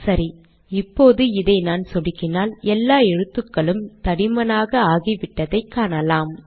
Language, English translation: Tamil, Alright now, watch this as I click this all the letters will become bold